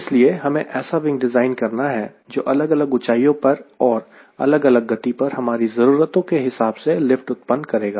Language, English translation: Hindi, so i need to have a wing especially designed so that it can generate lift at different altitudes, a different speed, as per our requirements